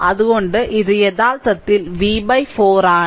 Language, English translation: Malayalam, So, this is actually v by 4